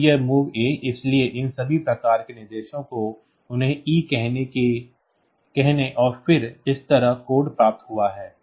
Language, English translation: Hindi, So, these all these mov a type of instructions they have got the code like say E and then this